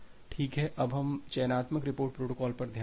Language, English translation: Hindi, OK, now let us look into the selective repeat protocol